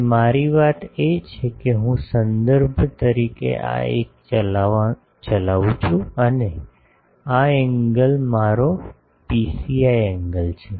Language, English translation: Gujarati, And my thing is I take the, this driven 1 as a reference and this angle is my psi angle ok